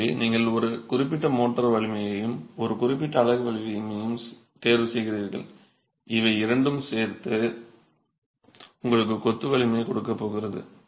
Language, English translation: Tamil, So you choose a certain strength of motor and a certain strength of unit and these two together are going to give you a strength of the masonry